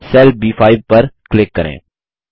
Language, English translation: Hindi, Click on the cell B5